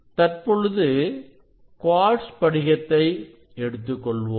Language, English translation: Tamil, that is the picture, if you consider the quartz crystal